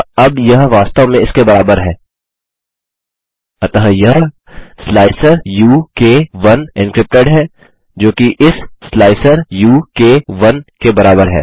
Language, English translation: Hindi, So now this will actually be equal to this, so this is encrypted slicer u k 1, which is equal to this slicer u k 1